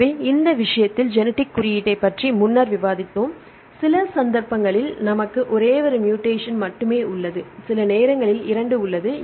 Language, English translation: Tamil, So, in this case we discussed earlier about the genetic code some cases we have only one mutation sometimes there is 2 right